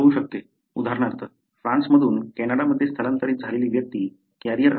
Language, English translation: Marathi, For example, the person who migrated from France to Canada may not be a carrier